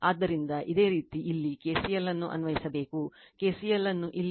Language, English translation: Kannada, So, similarly you have to apply KCL here, you have to apply KCL here